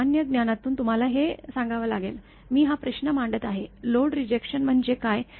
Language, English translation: Marathi, From common sense, you have to tell; just this question I am putting, what is load rejection